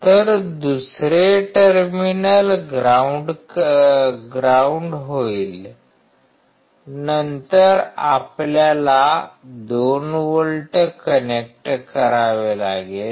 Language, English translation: Marathi, So, another terminal will be ground, then we have to connect 2 volts